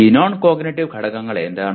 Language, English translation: Malayalam, And which are these non cognitive factors